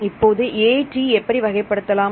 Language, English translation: Tamil, Now, how to classify this AT